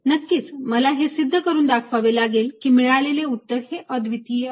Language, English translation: Marathi, off course, i have to prove that that answer is going to be unique